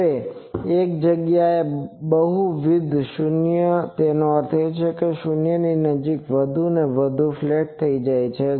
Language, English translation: Gujarati, Now, multiple 0 at a place means that it becomes more and more flat near the 0s